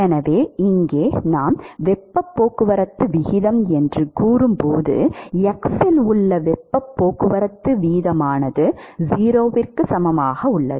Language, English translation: Tamil, So, here when we say heat transport rate, what is meaningful is the heat transport rate at x equal to 0